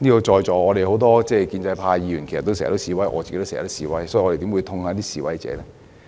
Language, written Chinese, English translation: Cantonese, 在座很多建制派議員經常示威，我自己亦經常示威，所以我們怎會痛恨示威者呢？, Many pro - establishment Members here including me often participate in demonstrations . So why would we hate the protesters?